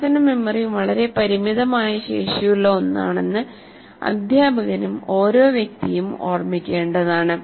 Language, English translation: Malayalam, See, the only thing that we need to remember about working memory, it is a very limited capacity